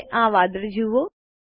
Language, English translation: Gujarati, Observe the clouds, now